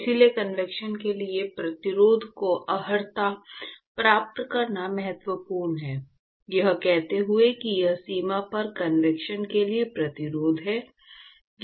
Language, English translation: Hindi, So, it is important to qualify the resistance for convection, saying that it is the resistance for convection at the boundary